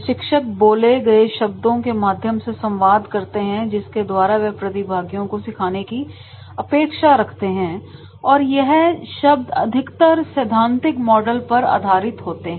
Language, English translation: Hindi, The trainers communicate through spoken words what they want the trainees to learn and most of the time these are the theoretical concepts, the theory models